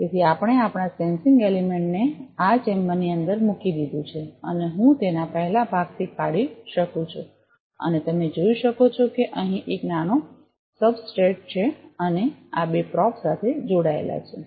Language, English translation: Gujarati, So, we put our sensing element inside this chamber and I can just take it off the first part and you can see that there is a small substrate here and this is connected with two probe